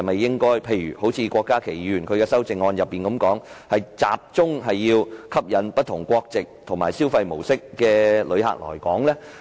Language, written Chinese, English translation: Cantonese, 正如郭家麒議員的修正案提到，我們應否集中吸引不同國籍及消費模式的旅客來港呢？, As suggested in Dr KWOK Ka - kis amendment should we focus on attracting visitors of different nationalities and spending patterns to Hong Kong?